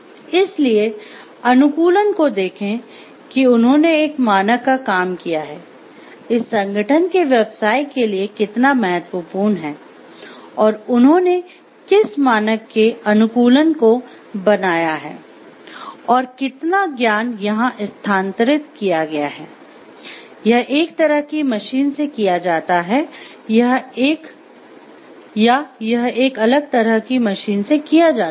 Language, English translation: Hindi, So, stand adaptation that they have done of a standard, how much it is important for the business of this organization and what degree of adaptation have they made as a standard piece of equipment, and how much that knowledge is transferred over here, and is it done to a similar kind of machine or it has been done to a different kind of machine